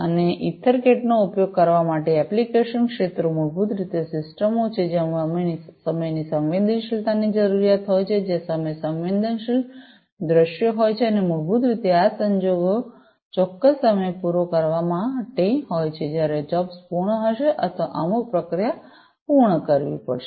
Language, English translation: Gujarati, And, the application areas of for use of EtherCAT are basically systems, where there is a requirement of time sensitivity, where there are time sensitive scenarios, and basically these scenarios will have to cater to specific times by when the jobs will have to be completed, or certain process will have to be completed